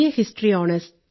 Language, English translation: Malayalam, History Honours at St